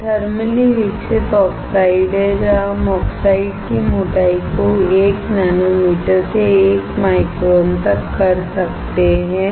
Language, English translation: Hindi, This is thermally grown oxides where we can vary the thickness of the oxide from 1 nanometer to 1 micron